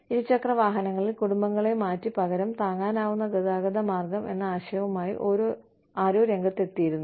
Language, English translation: Malayalam, A concept was, you know, somebody came out with the concept of, replacing families on two wheelers, with an alternative affordable method of transport